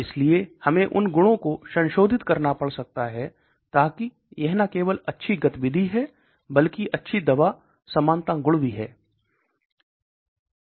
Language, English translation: Hindi, So we may have to modify those properties, so that it not only has good activity but also has good drug likeness property